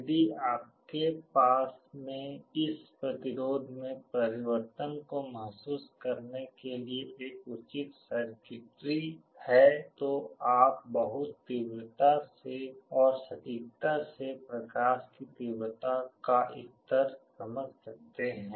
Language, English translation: Hindi, If you have a proper circuitry to sense this change in resistance, you can very faithfully and accurately sense the level of light intensity